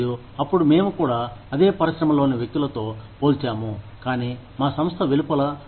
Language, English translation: Telugu, And, then, we also tend to compare ourselves, with people within the same industry, but outside our organization